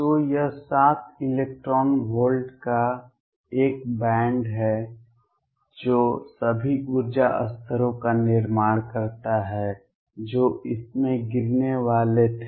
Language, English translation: Hindi, So, this is a band of seven electron volts which is formed all the energy levels that were there are going to fall in this